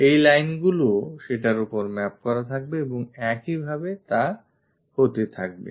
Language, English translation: Bengali, These lines are also maps onto that and so on